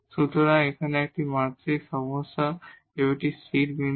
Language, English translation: Bengali, So, here this is a stationary point in this one dimensional problem